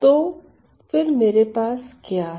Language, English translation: Hindi, So, what have we got here